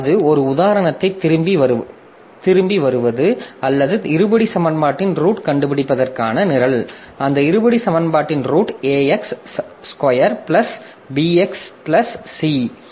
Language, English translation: Tamil, Coming back to the same example that is the program to find roots of that quadratic equation, sorry, roots of that quadratic equation a x square plus bx plus c